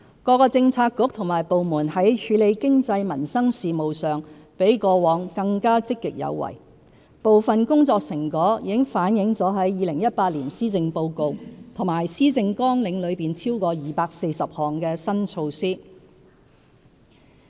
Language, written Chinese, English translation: Cantonese, 各政策局和部門在處理經濟民生事務上比過往更積極有為，部分工作成果已反映在2018年施政報告及施政綱領內超過240項的新措施。, Various bureaux and departments have become more proactive in handling economic and livelihood issues and part of the efforts have been reflected in the 2018 Policy Address and the over 240 new initiatives in the Policy Agenda